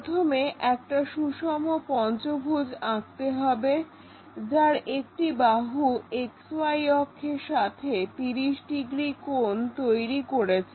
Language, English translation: Bengali, First drawn a pentagon, regular pentagon, one of the side is making 30 degrees angle with this XY axis